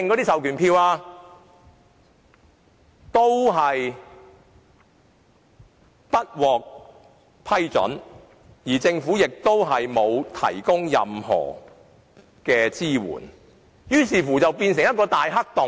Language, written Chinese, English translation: Cantonese, 但這個要求都不獲批准，而政府亦沒有提供任何支援，問題於是便變成一個大黑洞。, But even such a request was not granted and the Government does not provide any assistance thus aggravating the problem into an enormous black hole